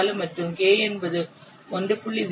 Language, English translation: Tamil, 4 and K is equal to 1